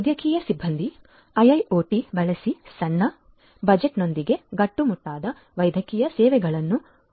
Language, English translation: Kannada, Medical staff can provide quality medical services with small budget using IIoT